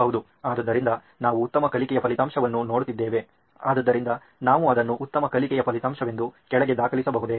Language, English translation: Kannada, So, we are looking at better learning outcome, so can we put that down as better learning outcome